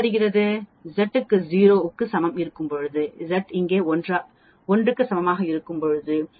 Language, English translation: Tamil, When Z is equal to 0 here, when Z is equal to 1 here this area will be 0